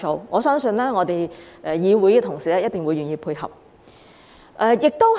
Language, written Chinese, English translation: Cantonese, 我相信我們議會同事一定會願意配合。, I believe our Honourable colleagues in this Council will certainly be willing to cooperate